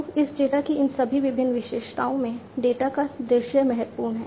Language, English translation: Hindi, So, all these different character characteristics of this data the visualization of the data is important